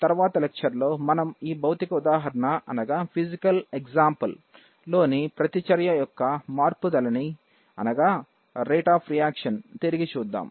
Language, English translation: Telugu, In the next lecture, we are going to revisit this physical example of this rate of reaction